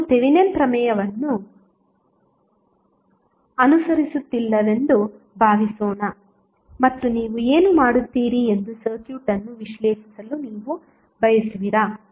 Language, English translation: Kannada, Suppose you are not following the Thevenin theorem and you want to analyze the circuit what you will do